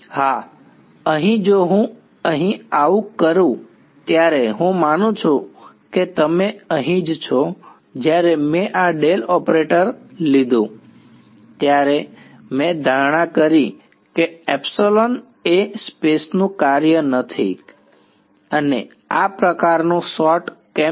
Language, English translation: Gujarati, Yes over here if I when I did this over here, I assume that you are right its over here implicitly when I took this the del operator I made the assumption that epsilon is a not a function of space and why is this sort of ok